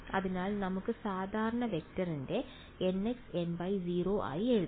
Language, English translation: Malayalam, So, let us further write down the normal vector as n x n y 0